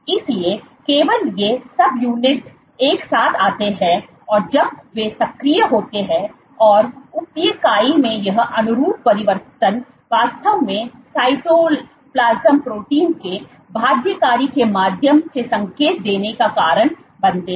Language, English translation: Hindi, So, only these subunit is come together when in when they are active, and this conformational changes in the subunit actually lead to signaling through binding of cytoplasm proteins